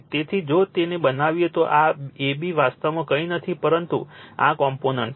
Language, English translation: Gujarati, So, if you make it this AB actually is nothing, but this component